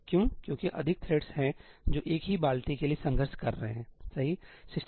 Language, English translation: Hindi, Why because there are more threads which are contending for the same buckets, right